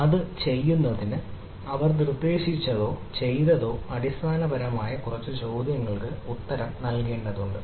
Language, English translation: Malayalam, so in order to do that, so what they ah proposed or what they ah did, is basically need to answer a few questions